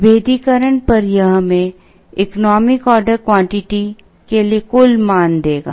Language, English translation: Hindi, This on differentiation would give us this total value for the economic order quantity